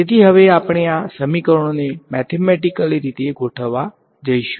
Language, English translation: Gujarati, So, now, we will go about setting up these equations mathematically